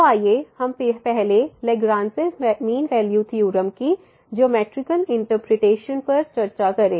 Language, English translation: Hindi, So, let us first discuss the geometrical interpretation of this Lagrange mean value theorem